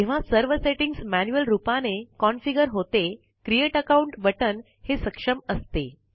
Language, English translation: Marathi, When the settings are configured manually, the Create Account button is enabled